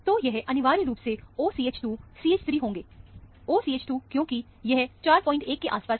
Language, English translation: Hindi, So, this would essentially amount to, OCH 2 CH 3; OCH 2 because, this is about 4